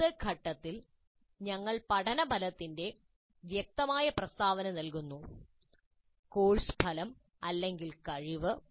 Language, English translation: Malayalam, So in the what phase we provide a clear statement of the learning outcome, the course outcome or the competency